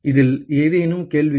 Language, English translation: Tamil, Any questions on this